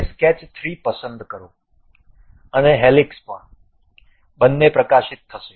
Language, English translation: Gujarati, Now, pick sketch 3 and also helix, both are highlighted